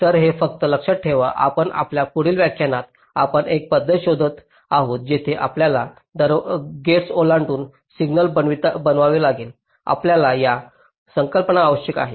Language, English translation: Marathi, but because in our next lecture we shall be looking at a method where we may have to sensitize a signal across gates, we need this concepts